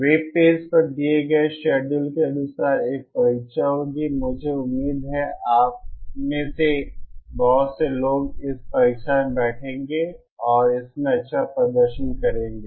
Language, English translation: Hindi, There will be an exam as per the schedule given on the web page, I hope many of you take this take that exam and do well in um